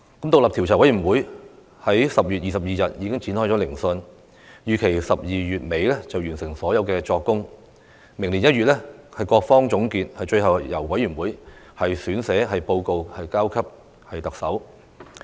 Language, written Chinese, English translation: Cantonese, 獨立調查委員會已於10月22日展開聆訊，預期在12月底完成所有作供，各方預料在明年1月作總結，最後由調查委員會撰寫報告提交特首。, The independent Commission of Inquiry already commenced its hearing on 22 October . It is expected that the taking of all evidence will be completed by the end of December and each party will make its final submission in January next year . Finally a report will be written by the Commission and submitted to the Chief Executive